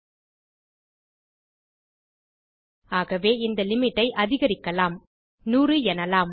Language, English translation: Tamil, So we are going increase the limit for this to, say, 100